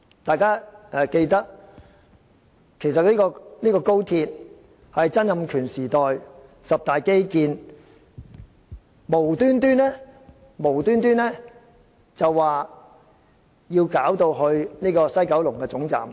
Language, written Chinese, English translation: Cantonese, 大家也記得，高鐵其實是曾蔭權時代的十大基建之一，無緣無故地要把總站設於西九龍。, As Members should recall XRL was one of the 10 major infrastructure projects in Donald TSANGs era and for no reason at all the terminus was set to be located in West Kowloon